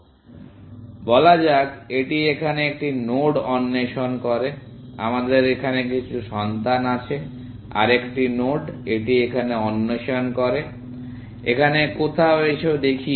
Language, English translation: Bengali, So, let us say, it explores a node here; we have some children here; another node, it explores here, somewhere here, let us see